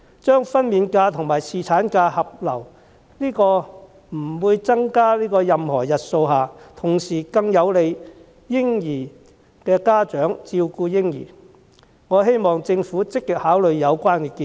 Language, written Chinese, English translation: Cantonese, 將分娩假和侍產假合流，在不增加任何日數下，同時更有利嬰兒的家長照顧嬰兒，我希望政府積極考慮有關建議。, Combining maternity leave and paternity leave without increasing the total number of leave days is more beneficial to parents who need to take care of their babies . I hope the Government can give active consideration to the idea